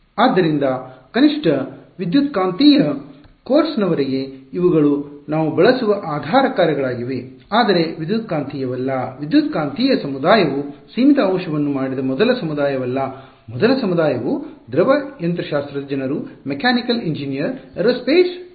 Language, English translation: Kannada, So, at least as far as electromagnetics course these are the kinds of basis functions we use, but electromagnetics are not the electromagnetic community is not the first community to do finite element in fact, the first community were fluid mechanics people, mechanical engineer, aerospace engineers